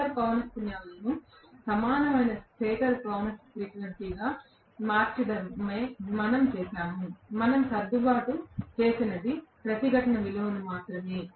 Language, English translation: Telugu, What we have done is to convert the rotor frequencies into equivalent stator frequency, only what we have adjusted is the resistance value